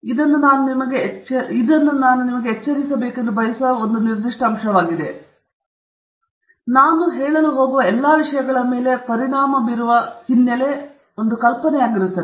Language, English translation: Kannada, So one of the points that I will make here is actually a singular, a specific point that I want to alert you to, which if you keep in mind will be the background idea which will affect all the things that I am going to tell you about a technical paper okay